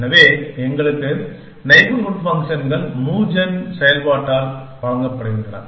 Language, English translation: Tamil, So, for us the neighborhood functions is given by the MoveGen function